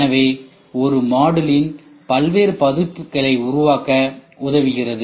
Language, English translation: Tamil, So, thus enabling a variety of versions of the same module to be produced